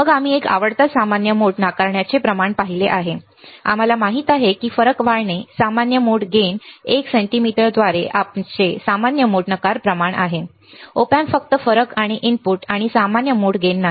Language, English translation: Marathi, Then we have seen a favorite common mode rejection ratio, we know that the ratio of the difference gain to the common mode gain ad by a cm is our common mode rejection ratio, Op Amps are only supposed to amplify the difference and of the inputs and not the common mode gain